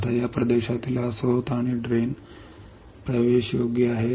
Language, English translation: Marathi, Now, this source and drain in this region, is accessible